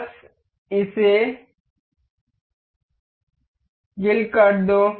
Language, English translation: Hindi, Just kill it